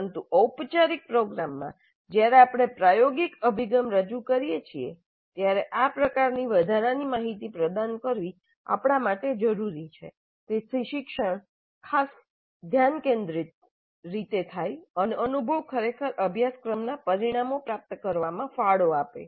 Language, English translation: Gujarati, In the traditional model this was not emphasized but in a formal program when we introduced experiential approach it is necessary for us to provide this kind of additional information so that learning occurs in a particularly focused manner and the experience really contributes to the attainment of the course outcomes